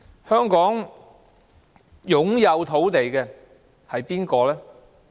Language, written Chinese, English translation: Cantonese, 香港擁有土地的人是誰？, Who in Hong Kong are in possession of land?